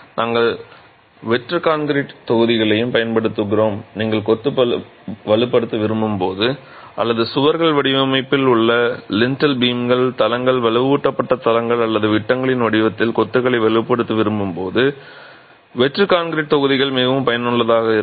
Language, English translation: Tamil, We use hollow concrete blocks as well and hollow concrete blocks are extremely useful when you want to reinforce masonry or when you want to reinforce masonry either in the form of walls or in the form of lintel beams, floors, reinforced floors or beams themselves